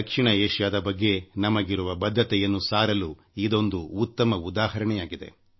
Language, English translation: Kannada, This is an appropriate example of our commitment towards South Asia